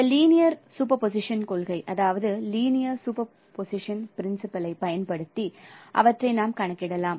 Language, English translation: Tamil, And then we can apply this linear superposition principles